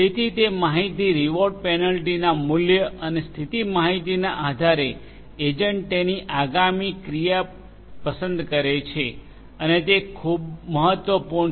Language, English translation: Gujarati, So, with that information based on the reward penalty value and the state information the agent makes its next choice and this is very important